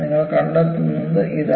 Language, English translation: Malayalam, And, this is what you find